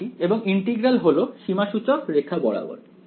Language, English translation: Bengali, I am staying and the integral is along this contour right